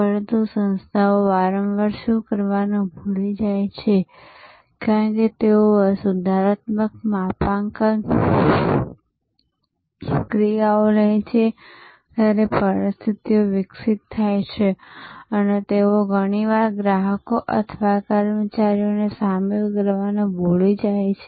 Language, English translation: Gujarati, But, what organizations often forget to do that as situations evolve as they take corrective calibrating actions, they often forget to keep the customers or the employees involved